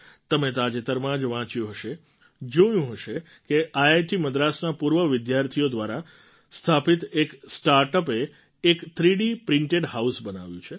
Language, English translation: Gujarati, Recently you must have read, seen that a startup established by an alumni of IIT Madras has made a 3D printed house